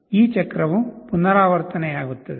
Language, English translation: Kannada, This cycle will repeat